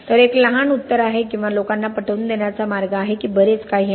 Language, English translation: Marathi, So is there a short answer or is there a way to convince people that there is a lot to do